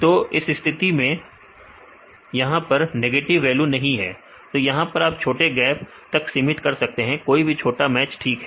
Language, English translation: Hindi, So, in this case there is no negative values in this case you can restrict for the small gaps, any small matches fine